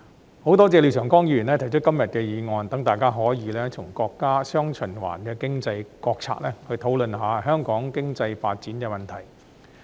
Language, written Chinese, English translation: Cantonese, 我很多謝廖長江議員提出今天的議案，讓大家可以從國家"雙循環"經濟國策方面，討論香港經濟發展的問題。, I am very thankful to Mr Martin LIAO for proposing todays motion which allows Members to discuss Hong Kongs economic development from the perspective of the countrys economic policy of dual circulation